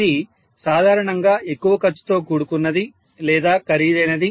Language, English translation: Telugu, This will be generally more costly or costlier